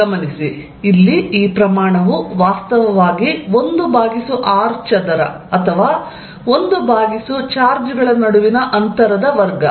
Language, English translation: Kannada, Notice that, this quantity here is actually 1 over r square or 1 over the distance between the charges square